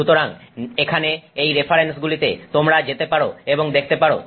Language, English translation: Bengali, So here are a couple couple of references which you can go and look up